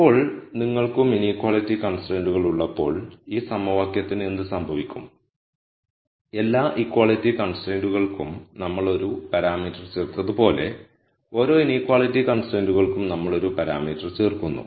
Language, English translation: Malayalam, Now, when you also have inequality constraints, what happens to this equation is, just like how we added a single parameter for every equality constraint, we add a parameter for each inequality constraints